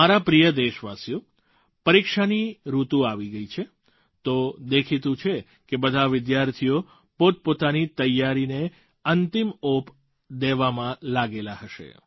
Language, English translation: Gujarati, My dear countrymen, the exam season has arrived, and obviously all the students will be busy giving final shape to their preparations